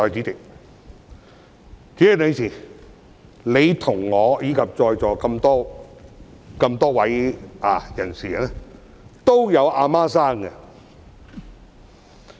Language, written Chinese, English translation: Cantonese, 代理主席，你、我以及在座各位都有母親。, Deputy President you myself and Members present here all have mothers